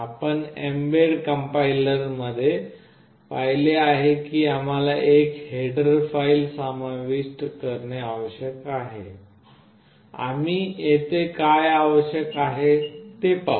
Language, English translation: Marathi, You have seen in mbed compiler we need to include a header file, we will see what is required here